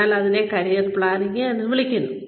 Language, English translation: Malayalam, So, that is called career planning